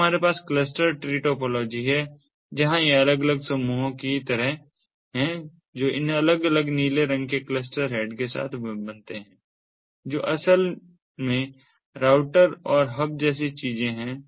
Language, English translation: Hindi, then we have the cluster tree topology, where these are like different clusters that are formed with these different blue colored cluster head which basically in reality are things such as routers and hubs